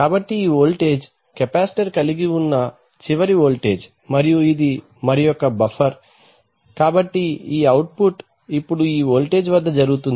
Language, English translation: Telugu, So this voltage the last voltage with the capacitor had is held and this is another buffer, so this output will now be held at this voltage